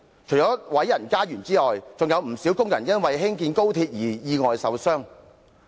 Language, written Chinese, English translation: Cantonese, 除了有人被毀家園外，還有不少工人因興建高鐵而意外受傷。, Not only were peoples homes destroyed many workers also got injured in accidents relating to the construction of the XRL as a result